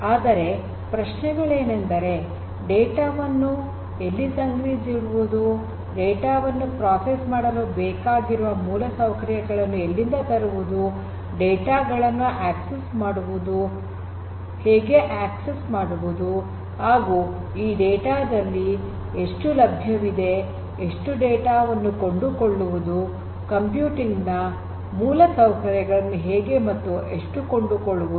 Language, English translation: Kannada, One thing is storing the data, how do how and where you are going to get the infrastructure that is necessary for the processing of the data, how you are going to get it, how you are going to get access to it, how much of this data will be made available, how much you have to pay for it, when do you buy whether you at all you buy or not